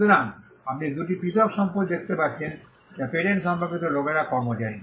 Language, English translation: Bengali, So, you can see two different possessions, which people employee with regard to patents